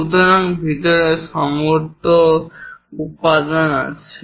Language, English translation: Bengali, So, inside everywhere material is there